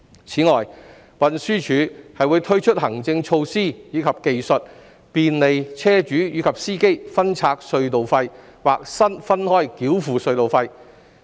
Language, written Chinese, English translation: Cantonese, 此外，運輸署會推出行政措施及技術，便利車主及司機分拆隧道費或分開繳付隧道費。, Moreover the Transport Department TD will introduce administrative measures and technologies that will facilitate toll splitting or toll payment diversion between vehicle owners and drivers